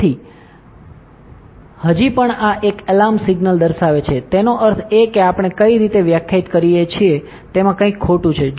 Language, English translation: Gujarati, So, still even now this is showing an alarm signal; that means, there is something wrong in how we have define this